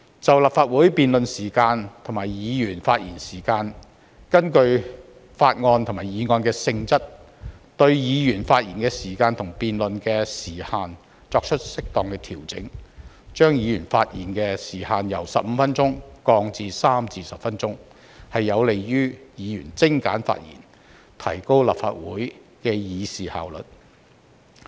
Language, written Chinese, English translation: Cantonese, 在立法會辯論時限及議員的發言時限方面，根據法案和議案的性質，對議員發言時限和辯論時限作出適當調整，把議員發言時限由15分鐘降至3至10分鐘，有利於議員精簡發言，提高立法會的議事效率。, In terms of the time limits on debates in Council and the length of Members speeches in accordance with the nature of bills and motions Members speaking time and the time limits on debates will be adjusted appropriately . A Members speaking time will be reduced from 15 minutes to three to 10 minutes . This can encourage Members to make concise speeches with a view to enhancing the efficiency of the Council in transacting business